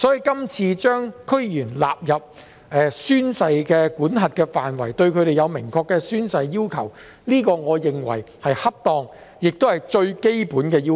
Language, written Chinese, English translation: Cantonese, 因此，這次將區議員納入宣誓的管轄範圍，並對他們訂立明確的宣誓要求，我認為是恰當和最基本的要求。, So no one will be convinced by the argument that DC members are not public officers and I consider it appropriate and fundamental to put DC members under the scope of oath - taking and establish clear oath - taking requirements for them in this legislative exercise